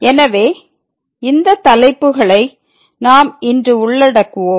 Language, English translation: Tamil, So, these are the topics we will be covering today